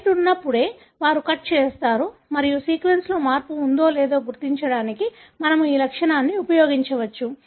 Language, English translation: Telugu, They cut only when the site is present and we can use this property to identify whether there is a change in the sequence